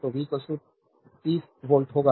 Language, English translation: Hindi, So, v will be is equal to 30 volt